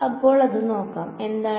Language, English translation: Malayalam, So, let us see what